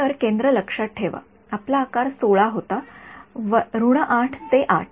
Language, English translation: Marathi, So, centre remember our size was 16 so, minus 8 to 8